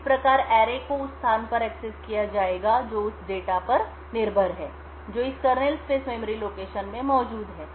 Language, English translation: Hindi, Thus, the array would be accessed at a location which is dependent on the data which is present in this kernel space memory location